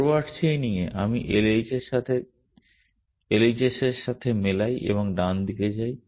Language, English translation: Bengali, In forward chaining, I match the LHS and go to the right hand side